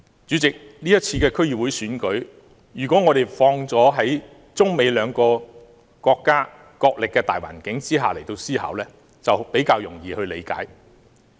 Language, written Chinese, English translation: Cantonese, 主席，如果我們把今次區議會選舉，置於中美兩國角力的大環境下思考，就會比較容易理解。, President if we put this District Council Election against the background of the China - United States rivalry it is easier to put everything in focus